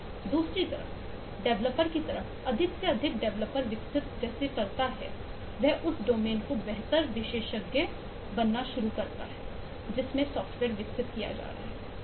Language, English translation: Hindi, more and more the developer develops, she start becoming a better expert of the domain in which the software is being developed